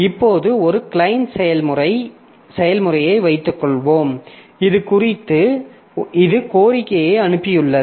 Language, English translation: Tamil, So, now suppose one client process, so it has sent a request on this